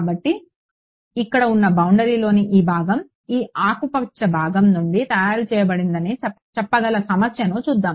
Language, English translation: Telugu, So let us see the problem that let us say that this part of the boundary over here is made out of this green part